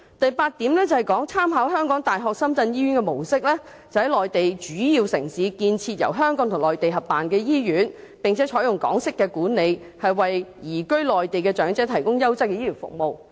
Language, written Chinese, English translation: Cantonese, 第八項是"參考香港大學深圳醫院的模式，在內地主要城市建設由香港及內地合辦的醫院，並採用港式管理，共同為移居內地的長者提供優質醫療服務"。, By item 8 it is to by drawing reference from the model of the University of Hong Kong - Shenzhen Hospital co - establish hospitals in major Mainland cities by Hong Kong and the Mainland and adopt Hong Kong - style management to jointly provide quality health care services to elderly persons who have moved to the Mainland